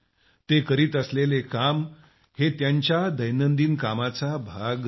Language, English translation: Marathi, The tasks they are performing is not part of their routine work